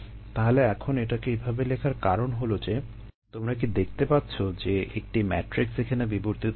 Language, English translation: Bengali, so now, the reason for me writing at this way is that can you see a matrix evolving here